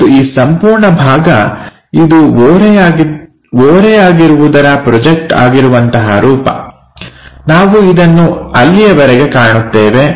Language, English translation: Kannada, And this entire part projected version of this inclined one, we will see all the way there